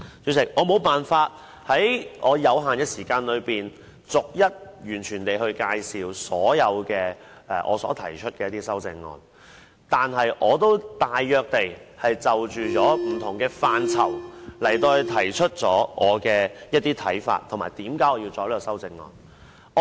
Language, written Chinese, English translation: Cantonese, 主席，我沒有辦法在我有限的時間內，逐一介紹所有我提出的修正案，但我已大約就不同範疇提出我的看法，以及我提出修正案的原因。, Chairman it is difficult for me to go through all my amendments within limited speaking time but I have briefly given my views on different areas and the reasons for moving my amendments